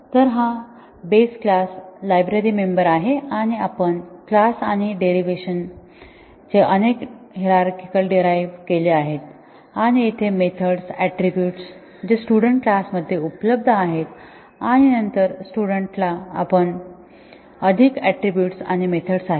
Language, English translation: Marathi, So, this is a base class library member and we have derived classes and several hierarchies of derivation and the methods, attributes here become available in students and then the students are further attributes and methods